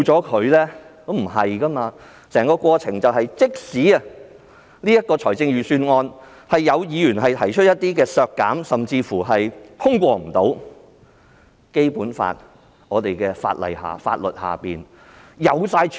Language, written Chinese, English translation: Cantonese, 其實也不是的，即使有議員就財政預算案提出削減修訂，甚至預算案最終無法通過，在《基本法》及我們的法律下也有方法處理。, This will not be the case . Even if Members propose amendments to reduce expenditure under the Budget or even if the Budget cannot be passed ultimately the Basic Law and the laws of Hong Kong have provided ways to handle the situation